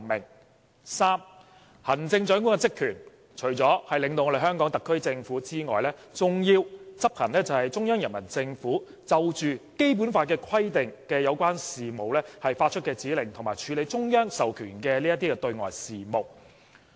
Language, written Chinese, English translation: Cantonese, 第三，行政長官的職權除了領導香港特區政府之外，還要執行中央人民政府就《基本法》規定的有關事務發出的指令，以及處理中央授權的對外事務。, Third the Chief Executive shall exercise the powers and functions of leading the HKSAR Government implementing the directives issued by the Central Peoples Government in respect of the relevant matters provided for in the Basic Law and conducting external affairs as authorized by the Central Authorities